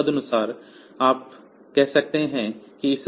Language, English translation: Hindi, So, accordingly you can say that